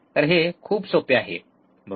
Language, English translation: Marathi, So, it is very easy, right